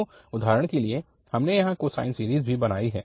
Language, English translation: Hindi, So we have also, for instance, plotted here the cosine series